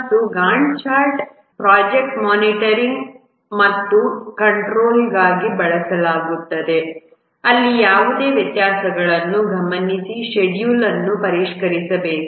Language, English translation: Kannada, And also the Gant chart is used for project monitoring and control where the schedule needs to be refined if there are any variations that are observed